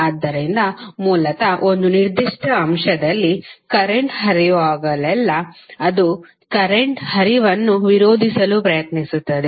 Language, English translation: Kannada, So, basically whenever the current flows in a particular element it tries to oppose the flow of current